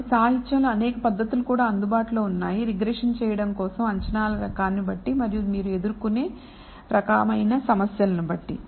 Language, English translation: Telugu, So, there are several methods also, that are available in the literature for performing the regression depending on the kind of assumptions you make and the kind of problems that may you may encounter